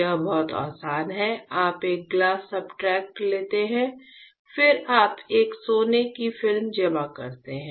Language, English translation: Hindi, It is very easy; you take a glass substrate, then you deposit a gold film